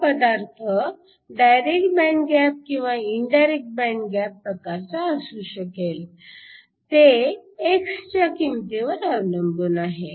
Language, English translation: Marathi, This material can be a direct or an indirect band gap depending upon the value of x for x less than 0